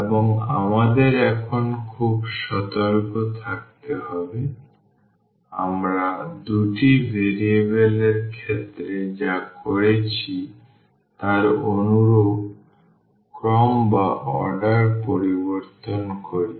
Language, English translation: Bengali, And we have to be very careful now, once we change the order similar to what we have done in case of 2 variables